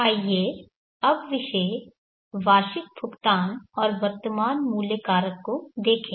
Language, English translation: Hindi, Let us now look at the topic annual payment and present worth factor